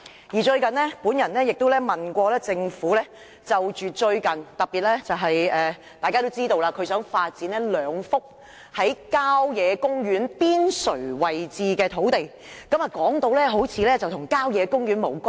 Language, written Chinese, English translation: Cantonese, 我最近亦曾就此向政府提問，特別是大家都知道，政府有意發展兩幅郊野公園邊陲地帶土地；按政府的說法，好像該等土地與郊野公園無關。, In this regard I recently put a question to the Government particularly when we all know that it intends to develop two sites on the periphery of country parks . Though the Government has presented the proposal as if the sites have nothing to do with the country parks I am sorry to say that this is absolutely not the case